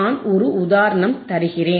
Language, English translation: Tamil, I’m giveing an example